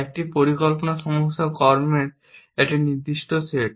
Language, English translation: Bengali, A planning problem is a given set of actions